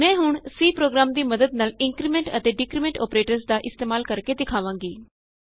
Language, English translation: Punjabi, I will now demonstrate the use of increment and decrement operators with the help of a C program